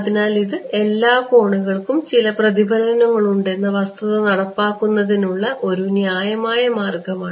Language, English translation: Malayalam, So, this is one; this is one reasonable way of implementing getting around the fact that all angles have some reflection